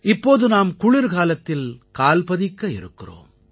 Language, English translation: Tamil, We are now stepping into the winter season